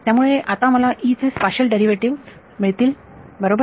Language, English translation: Marathi, So, I will get the spatial derivatives of E now right